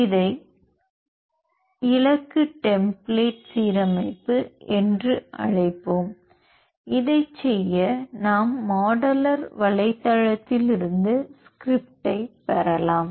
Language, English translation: Tamil, We will call it as target template alignment, to do this we can get the script modular script from their website here